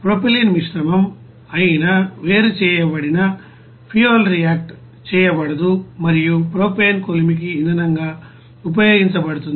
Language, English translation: Telugu, The separated fuel gas that is a mixture of propylene that is unreacted and propane is used as a fuel for the furnace